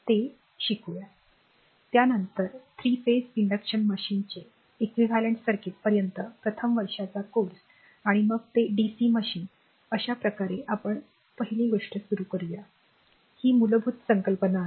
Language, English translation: Marathi, Then little bit of three phase induction machine up to your equivalent circuit as were as first year course is concern and then that dca machine right so, this way let us start first thing is that your basic concept right